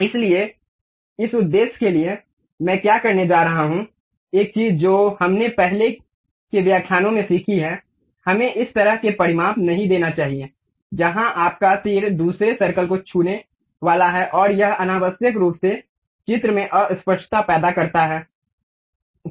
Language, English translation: Hindi, So, for that purpose, what I am going to do, one of the thing what we have learnt in our earlier lectures we should not give this kind of dimension, where your arrow is going to touch other circle and it unnecessarily create ambiguity with the picture